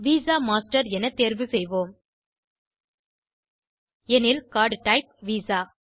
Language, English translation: Tamil, I will choose this visa master, So card type is Visa